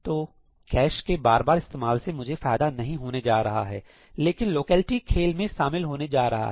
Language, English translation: Hindi, So, I am not going to benefit by cache reuse, but the locality is going to come into play